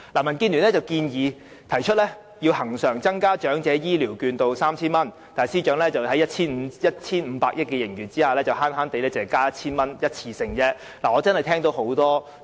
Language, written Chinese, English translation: Cantonese, 民建聯提出要求恆常增加長者醫療券至 3,000 元，但司長在坐擁 1,500 億元的盈餘下，卻只節約地增加一次性的 1,000 元。, The Democratic Alliance for the Betterment and Progress of Hong Kong asks him to increase the amount of Elderly Healthcare Vouchers permanently to 3,000 . But even when the Government possesses a surplus of 150 billion he is still so tight - fisted and has just introduced a one - off increase of 1,000